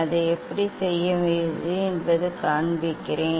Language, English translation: Tamil, let me show you the how to do that